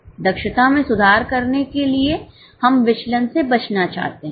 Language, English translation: Hindi, To improve efficiency, we want to avoid variances